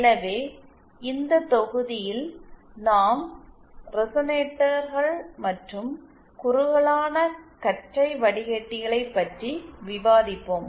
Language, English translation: Tamil, So, let us in this module we will be just discussing about the resonators and narrowband filters